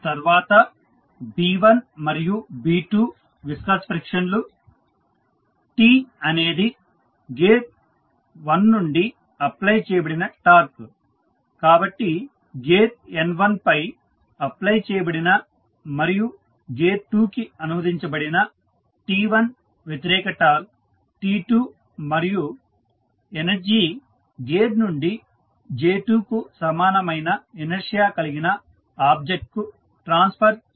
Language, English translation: Telugu, So, here you have the Coulomb frictions, then B1 and B2 are the viscous frictions, T is the torque applied from the gear 1, so the opposite torque which is T1 applied on the gear N1 and translated to gear 2 is T2 and the energy transferred from gear 2 the object which is having inertia equal to J2